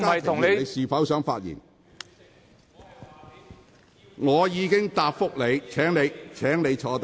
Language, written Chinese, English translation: Cantonese, 張議員，我已經處理了你提出的問題，請坐下。, Dr CHEUNG I have dealt with the issue raised by you . Please sit down